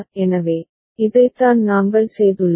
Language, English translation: Tamil, So, this is what we have done